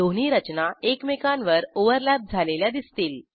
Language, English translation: Marathi, Observe that two structures overlap each other